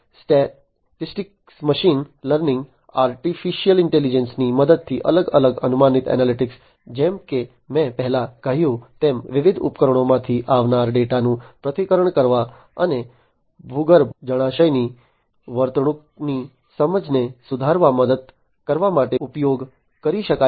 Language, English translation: Gujarati, So, different predictive analytics with the help of statistics machine learning artificial intelligence, as I said before can be used to analyze the incoming data from different devices and helping in improving the understanding of the behavior of the underground reservoir